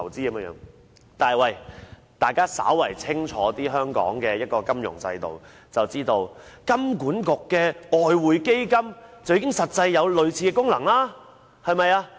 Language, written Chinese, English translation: Cantonese, 但是，如果大家稍為清楚香港的金融制度，便會知道香港金融管理局的外匯基金實際上已有類似的功能。, However if Members know something about the financial system of Hong Kong they should know that the exchange fund of the Hong Kong Monetary Authority has been performing a similar function